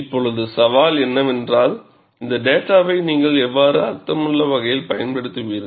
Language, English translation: Tamil, Now, the challenge is, how you will utilize this data in a meaningful way